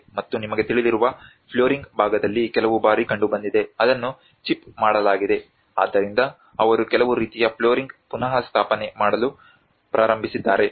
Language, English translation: Kannada, And on the flooring part you know because there has been some times, it has been chipped out so that is where they start making some kind of flooring restoration has been done